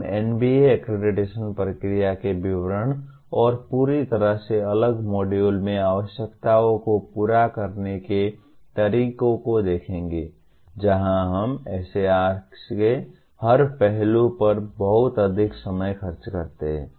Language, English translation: Hindi, We will be looking at the details of NBA accreditation process and how to meet the requirements in a completely separate module where we spend lot more time on every aspect of SAR